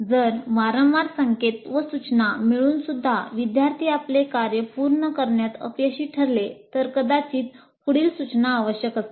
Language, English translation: Marathi, And if repeated cues and prompts fail to get the students complete the task, it is likely that further instruction is required